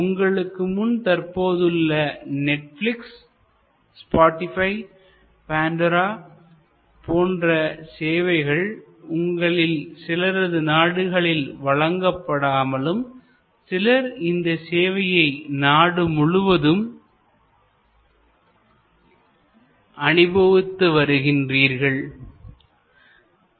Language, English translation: Tamil, So, you have in front of you some of these names Netflix, Spotify, Pandora some of them may not be as yet available in your country, some of you may have access to all the services